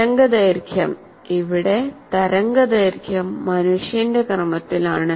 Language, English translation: Malayalam, The length of the wave, wavelength here is roughly the order of human being